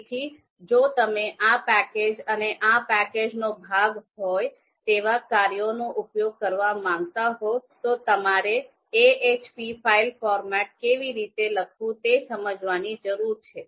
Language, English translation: Gujarati, So if you want to use this package and the function that are part of this package, you need to understand how this format is to be written, ahp file format is to be written